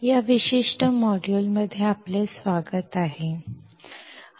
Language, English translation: Marathi, Welcome to this particular module